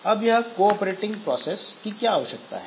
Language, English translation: Hindi, Now why do we have this cooperating processes